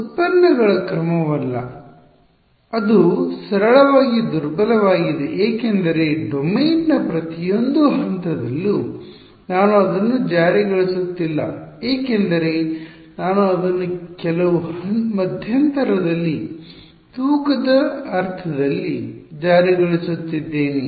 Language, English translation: Kannada, Not the order of derivatives it is simply weak because its I am not enforcing at every point in the domain I am enforcing it in a weighted sense over some interval